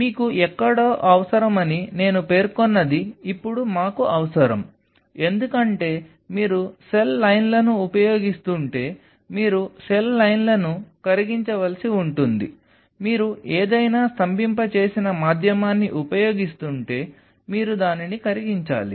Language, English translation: Telugu, Now we needed something what I have an mentioned you will be needing somewhere, because you have to thaw the cells if you are using cell lines you have to thaw the cell lines, if you are using some frozen medium you have to thaw it